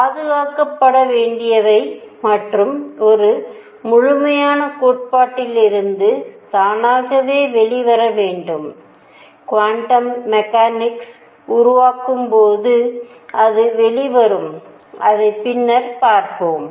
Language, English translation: Tamil, All that should be preserved and should come out automatically from a complete theory, which we will see later when we develop the quantum mechanics that it does come out